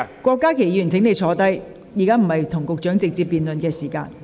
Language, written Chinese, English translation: Cantonese, 郭議員，請坐下，現在並非與局長辯論的時間。, Dr KWOK please sit down . This is not the time for a debate with the Secretary